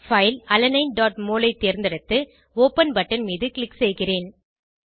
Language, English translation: Tamil, Choose the file Alanine.mol and click on Open button